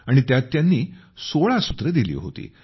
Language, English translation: Marathi, And in that he gave 16 sutras